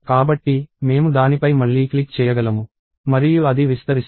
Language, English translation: Telugu, So, I can click on it again and it will expand